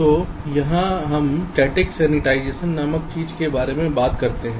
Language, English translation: Hindi, so here we talk about something called static sensitization